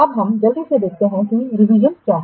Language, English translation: Hindi, Now let's quickly say about what is a revision